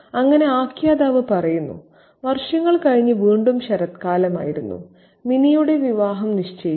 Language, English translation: Malayalam, So, the Natal says several years past, it was autumn again, Minnie's wedding match had been fixed